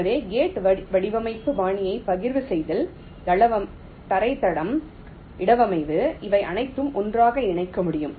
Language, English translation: Tamil, so for gate array, design style, the partitioning, floorplanning, placement, all this three can be merged together